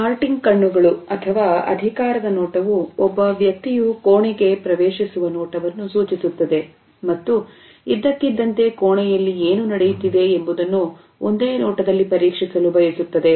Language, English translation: Kannada, Darting eyes suggest the gaze in which a person enters the room and suddenly wants to check at what is happening in the room in a single gaze